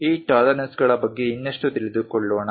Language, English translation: Kannada, Let us learn more about these tolerances